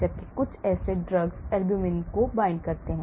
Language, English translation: Hindi, whereas, some acid drugs can bind to albumin